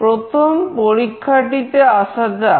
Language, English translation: Bengali, We come to the first experiment